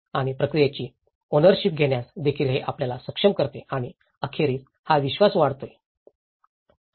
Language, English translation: Marathi, And also it can enable you to know take the ownership of the process and that eventually, it will build the trust